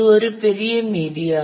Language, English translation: Tamil, This is a big medium